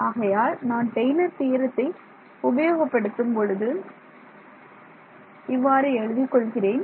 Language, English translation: Tamil, So, when I write I will use Taylor’s theorem, because that is what we used